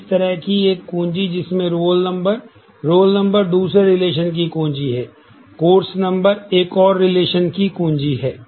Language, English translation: Hindi, Now, such a key such a key having roll number the roll number itself is a key of another relation the course number itself is a key of another relation